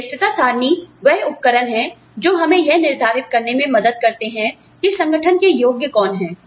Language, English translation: Hindi, Merit charts are tools, that help us decide, who is worth, what to the organization